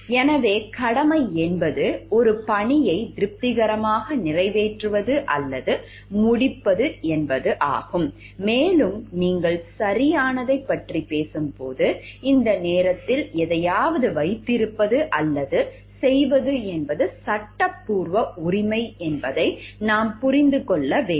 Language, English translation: Tamil, So, it duty is an obligation to satisfactorily perform or complete a task, and when you are talking of right, it is a legal entitlement to have or to do something at this juncture, we must understand